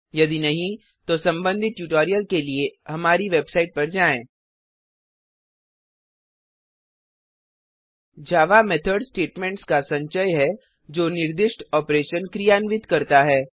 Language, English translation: Hindi, If not, for relevant tutorials please visit our website which is as shown, (http://www.spoken tutorial.org) A java method is a collection of statements that performs a specified operation